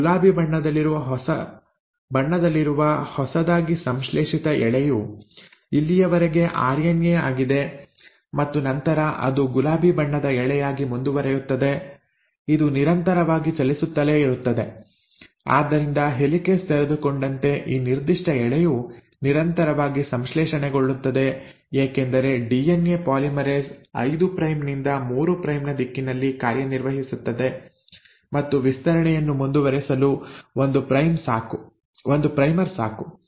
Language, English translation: Kannada, Now this newly synthesised strand which is pink in colour, this one, right, till here it is a RNA and then it continues as a pink strand; it keeps on continuously moving, so as the helicase keeps on unwinding this particular strand is continuously getting synthesised because DNA polymerase works in the 5 prime to 3 prime direction, and one primer is enough to keep the extension going